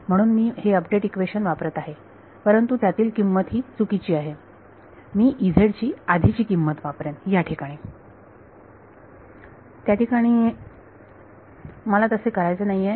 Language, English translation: Marathi, So, I am using the update equation, but the value inside it is wrong, I would be using the past value of E z over there I do not want to do